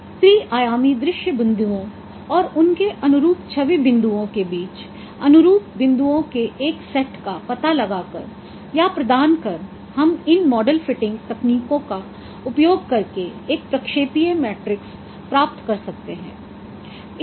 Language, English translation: Hindi, So, finding out or providing a set of corresponding points between three dimensional synpoints and their corresponding image points, we can derive a projection matrix by using this model fitting techniques